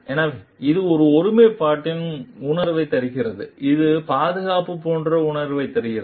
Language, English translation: Tamil, So, this gives a sense of integrity, this gives a sense of like safety